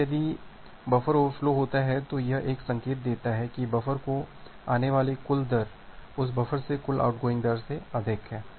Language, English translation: Hindi, Now if buffer overflow happens that gives an indication that, well the total incoming rate to the buffer exceeds the total outgoing rate from that buffer